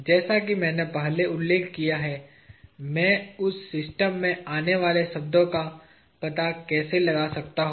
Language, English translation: Hindi, As I mentioned earlier, how do I find out the terms that appear in that equation